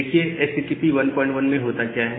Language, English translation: Hindi, So, what happens in HTTP 1